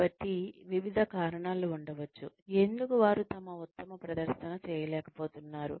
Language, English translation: Telugu, So, there could be various reasons, why they are not able to perform to their best